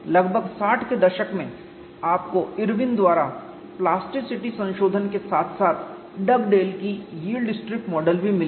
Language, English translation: Hindi, Around sixty's, you find the plasticity correction by Irwin as well as Dug dale's yield strip model all of them came